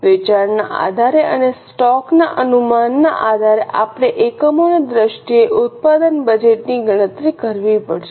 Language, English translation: Gujarati, Based on sales and based on the estimation of stock we will have to calculate the production budget in terms of units